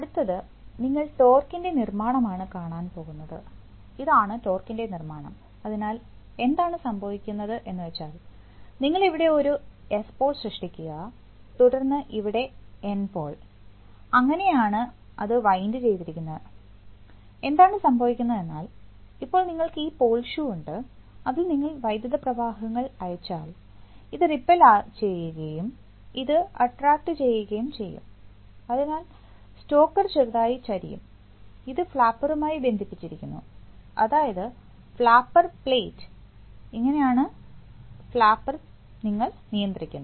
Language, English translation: Malayalam, The next is the, so you here you see, get to see the construction of the torque, so you see that this is the construction of the torque, so when what happens is that, you create an S pole here and then N pole here and N pole here, N pole here, that, that’s the way it is wound, so, and so what happens is that, now you have this pole shoe, so if you send currents like this then this is going to repel and this is going to attract, so the stalker will slightly tilt, it will slightly tilt and it is this tilt which will be, this is connected, this is the flapper, flapper plate, so this is the way you control the flapper